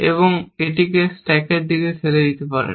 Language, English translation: Bengali, You push the action on to the stack and push